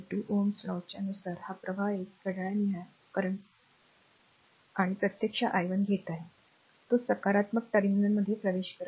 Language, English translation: Marathi, And by ohms' law, by ohms law this current is a your clock clock wise we are taking this current actually i 1, it is entering into the positive terminal